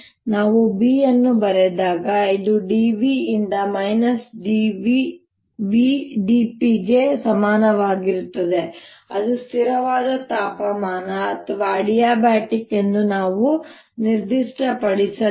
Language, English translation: Kannada, when we wrought d, which is equal to minus v, d p by d v, we did not specify whether there, at constant temperature or adiabatic